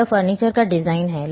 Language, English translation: Hindi, It is the design of the furniture